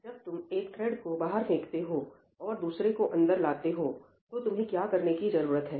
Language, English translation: Hindi, When you throw out one thread and bring in another thread, what do you need to do